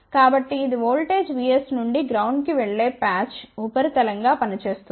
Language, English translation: Telugu, So, this acts as a patch substrate going from the voltage V s to ground